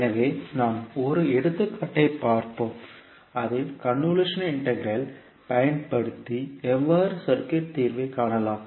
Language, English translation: Tamil, So let us see with one another example that how you will utilize the convolution integral in solving the circuit